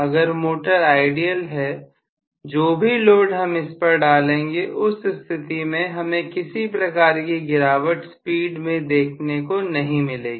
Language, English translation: Hindi, If it is an ideal motor, in an ideal motor whatever be the load that I am putting I should not get any drop in the speed